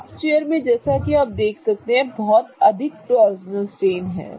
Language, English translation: Hindi, In the half chair, as you can see, there are a lot of torsional strain